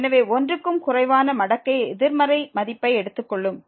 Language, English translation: Tamil, So, less than 1 the logarithmic take the negative value